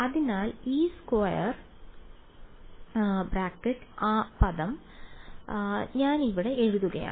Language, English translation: Malayalam, So, this square bracket term I am writing over here